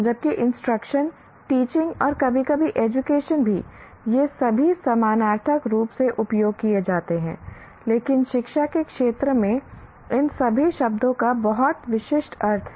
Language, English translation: Hindi, While the instruction teaching and sometimes even education, these are all used synonymously, but in the field of education, all these words have very specific meaning